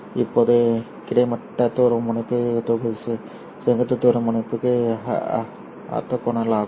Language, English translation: Tamil, Now the horizontal polarizer is orthogonal to the vertical polarizer